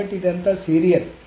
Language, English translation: Telugu, So that is all serial